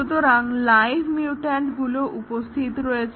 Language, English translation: Bengali, So, there are live mutants